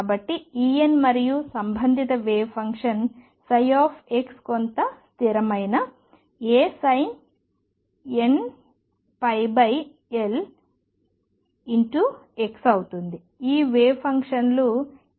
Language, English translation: Telugu, So, E n and the corresponding wave function psi x is some constant A sin n pi over L x, how do these wave functions look so